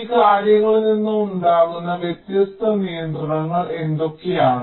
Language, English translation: Malayalam, what are the different constraints that arise out of these things